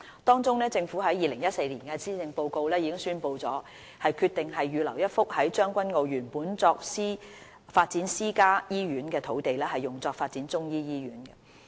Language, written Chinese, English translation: Cantonese, 當中，政府在2014年施政報告中已宣布，決定預留一幅在將軍澳原本作發展私家醫院的土地，用作發展中醫醫院。, Among others the Government announced in the 2014 Policy Address its decision to reserve a site in Tseung Kwan O originally earmarked for private hospital development to set up a Chinese medicine hospital